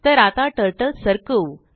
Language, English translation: Marathi, Lets now move the Turtle